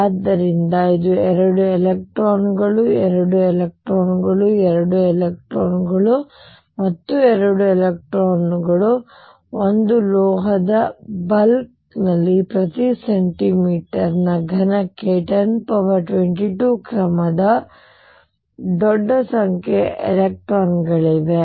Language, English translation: Kannada, So, this is 2 electrons, 2 electrons, 2 electrons, 2 electrons in a metal bulk there are huge number of electrons of the order of 10 raise to 22 per centimeter cubed